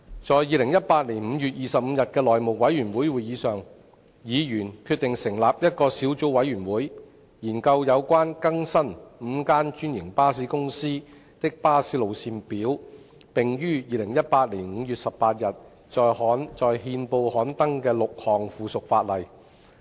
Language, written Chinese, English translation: Cantonese, 在2018年5月25日的內務委員會會議上，議員決定成立一個小組委員會，以研究有關更新5間專營巴士公司的巴士路線表、並已於2018年5月18日在憲報刊登的6項附屬法例。, At the meeting of the House Committee on 25 May 2018 Members decided to form a Subcommittee to study the six pieces of subsidiary legislation on updating the bus route schedules of five bus franchisees which had been gazetted on 18 May 2018